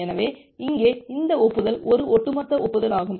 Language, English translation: Tamil, So, here this acknowledgement is a cumulative acknowledgement